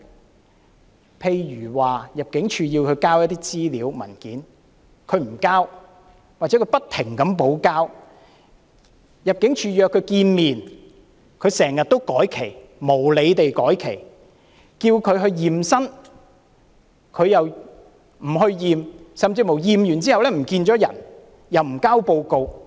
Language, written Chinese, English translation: Cantonese, 舉例來說，入境處要他們提交資料、文件，他們不遞交，或不停補交；入境處約他們見面，他們卻經常無理地要求改期；要求他驗身，他們卻不去驗身，甚至在驗身後失去蹤影，又不交回驗身報告。, For example when ImmD requires them to submit information and documents they either submit nothing or keep submitting things; when ImmD makes interview appointments with them they often request rescheduling unreasonably; when asked to do body examinations they fail to do it accordingly or simply disappear after undergoing examinations without submitting the examination reports